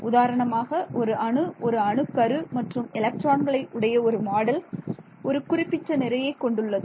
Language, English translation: Tamil, It is for example, an atom and the nucleus and the electrons or model has the mass right